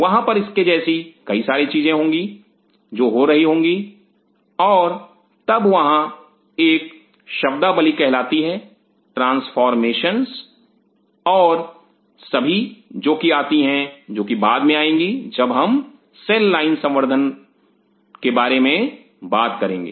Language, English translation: Hindi, There will be several such things which will happen and then there are terms called transformations and all which will come which will be coming later once we will talk about the cell line cultures